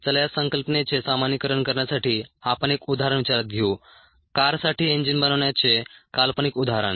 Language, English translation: Marathi, let us consider an example, fictitious example, of making an engine for a car